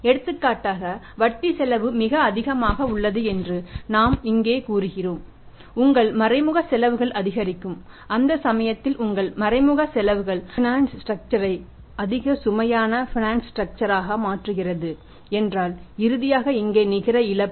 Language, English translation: Tamil, For example we say here that interest cost is very high so, your indirect expenses will go up and in that case if your indirect expenses are increasing furniture structure being very heavy financial structure so here finally we have reported the net loss but we have reported the net loss